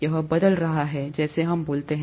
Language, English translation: Hindi, It's changing as we speak